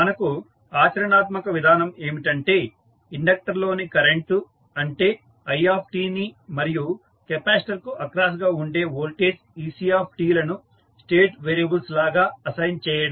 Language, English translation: Telugu, So, the practical approach for us would be to assign the current in the inductor that is i t and voltage across capacitor that is ec t as the state variables